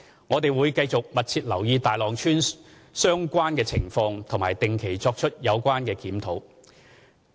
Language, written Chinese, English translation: Cantonese, 我們會繼續密切留意大浪村相關情況及定期作出有關檢討。, We will continue to closely monitor and regularly review the situation of Tai Long Village